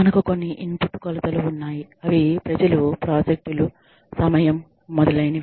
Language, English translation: Telugu, We have some input measures, which is, people, projects, times, etcetera